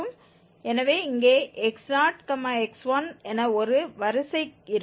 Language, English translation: Tamil, Using this x1 here now we will get x2